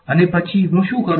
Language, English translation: Gujarati, And then what do I do